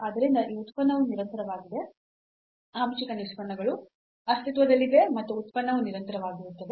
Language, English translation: Kannada, So, hence this function is continuous the partial derivatives exist and the function is continuous